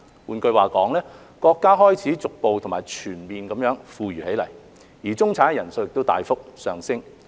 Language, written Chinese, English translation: Cantonese, 換句話說，國家開始逐步和全面地富裕起來，中產人數亦大幅上升。, In other words the country is getting rich gradually and generally with the number of middle - class people increasing significantly